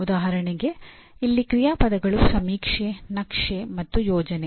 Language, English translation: Kannada, For example action verbs here are survey, map and plan